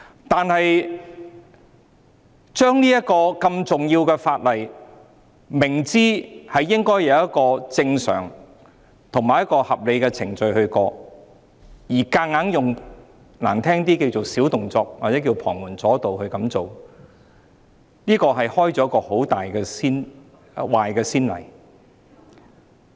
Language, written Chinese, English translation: Cantonese, 但是，如果明知這項如此重要的法例應該按正常及合理的程序通過，卻強行——說得難聽一點——使用"小動作"或"旁門左道"來處理，這會開立一個很壞的先例。, However in the full knowledge that such an important piece of legislation should be passed in accordance with normal and reasonable procedures the Government still attempted to forcibly deal with it―to say it bluntly―by using petty tricks or unorthodox ways